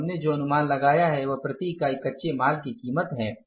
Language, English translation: Hindi, So, what we anticipated is the price per unit of the raw material